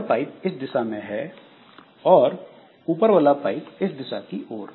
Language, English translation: Hindi, So, this pipe is in this direction and the upper pipe is in this direction